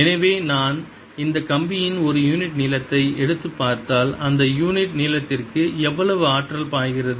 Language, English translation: Tamil, so if i take a unit length of this wire and see how much energy is flowing into that unit length is going to be so energy flowing in per unit length